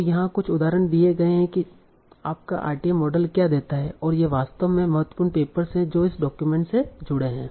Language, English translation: Hindi, So here are some examples that this is what your RTM model gives and these are actually important papers that this document actually linked to